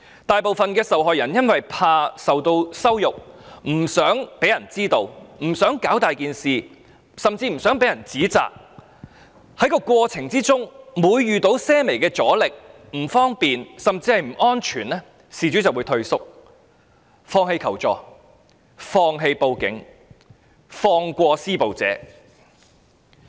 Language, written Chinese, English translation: Cantonese, 大部分受害人因為害怕受到羞辱、不想別人知道、不想把事情鬧大甚或不想被人指責，每每在過程中遇到些微阻力、不方便甚或不安全時，便會退縮、放棄求助、放棄報案及放過施暴者。, During the process most victims tend to back down in the face of the slightest obstructions inconveniences or risks because they fear that they will be humiliated or the case will be uncovered or they do not wish to make a big fuss of the matter or face criticisms from others . They will simply give up the idea of seeking assistance or reporting their case to the Police and let the abusers go